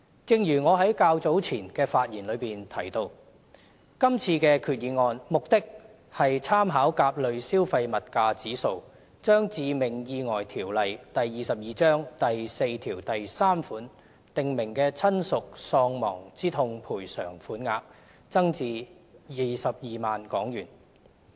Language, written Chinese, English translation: Cantonese, 正如我在較早前的發言中提到，今次的決議案目的是參考甲類消費物價指數，將《致命意外條例》第43條訂明的親屬喪亡之痛賠償款額增至22萬港元。, As I have said in my earlier speech the purpose of this resolution is to increase the sum of damages for bereavement under section 43 of the Fatal Accidents Ordinance Cap